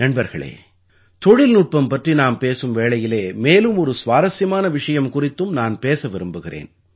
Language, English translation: Tamil, Friends, while we are discussing technology I want to discuss of an interesting subject